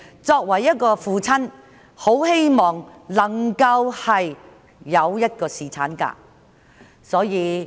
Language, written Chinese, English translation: Cantonese, 作為一位父親，他希望能夠有侍產假。, As a father he hoped that paternity leave could be introduced